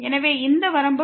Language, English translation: Tamil, So, what is the limit here